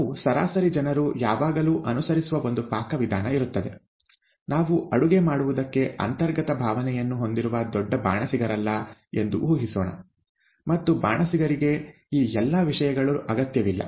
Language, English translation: Kannada, There is always a recipe that we average people follow, we are not, let us assume that we are not great chefs who have an, an inherent feel for what they cook, and therefore they do not need all these things